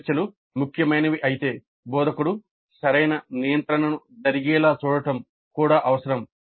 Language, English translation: Telugu, While discussions are important, it is also necessary for the instructor to ensure that proper moderation happens